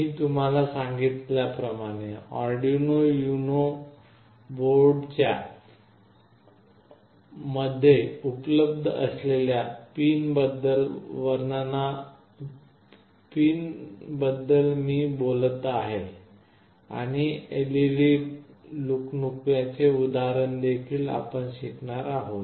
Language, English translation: Marathi, As I told you, I will be talking about Arduino UNO board description about the pins that are available and also work out an example for blinking LED